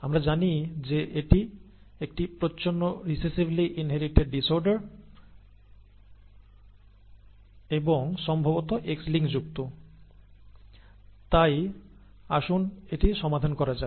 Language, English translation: Bengali, We know that it is a recessively inherited disorder and most likely X linked so let us work it out